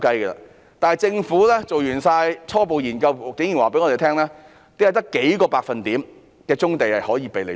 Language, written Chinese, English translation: Cantonese, 然而，政府在完成所有初步研究後，竟然告訴我們只有數個百分點的棕地可供使用。, However upon completion of all preliminary studies the Government has told us that only a few percentage points of brownfields are available for development